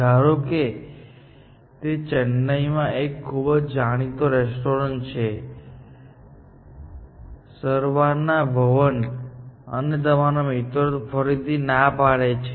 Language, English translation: Gujarati, Let us say this well known restaurant in Chennai; Saravana Bhavan, and your friend